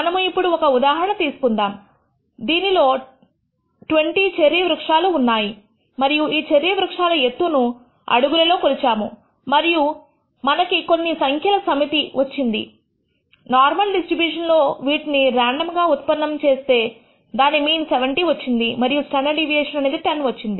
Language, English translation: Telugu, Let us take one example we have taken 20 cherry trees and we have measured the heights of the cherry trees in terms in feet and we got let us say the set of bunch of numbers; generated these randomly from a normal distribution with some mean which is 70 and the standard deviation of 10